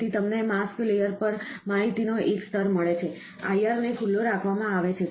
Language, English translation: Gujarati, So, you get one layer of information on the mask layer, is kept IR is exposed